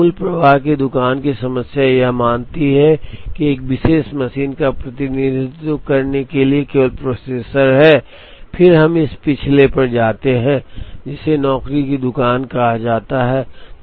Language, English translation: Hindi, But, the basic flow shop problem assumes that, there is only processor in the sequence to represent 1 particular machine then we move to the last one, which is called the job shop